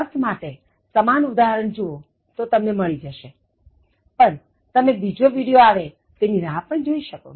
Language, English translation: Gujarati, In meaning, look for similar examples, then you can access, but you can also wait till the next video